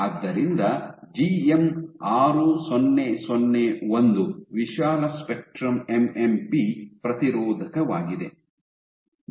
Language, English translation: Kannada, So, GM 6001 is broad spectrum MMP inhibitor ok